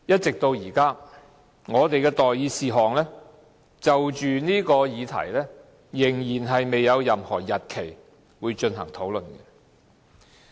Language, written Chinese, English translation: Cantonese, 直至現在，我們就着這項議題的待議事項仍未有任何進行討論的日期。, So far there is no scheduled date for the discussion on the outstanding item about this issue